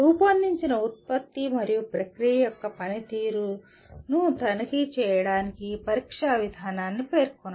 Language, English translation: Telugu, Specify the testing process to check the performance of the designed product and process